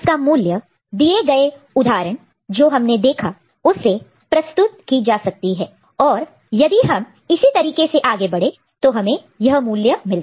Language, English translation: Hindi, Then its corresponding value is represented by, from these example that we had seen here, if we continue that this is the way the value is arrived at